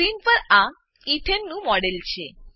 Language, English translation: Gujarati, This is a model of ethane on screen